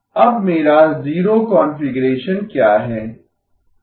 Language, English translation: Hindi, Now if this is my zero configuration, what is my zero configuration